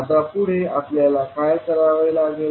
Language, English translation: Marathi, Now next, what we have to do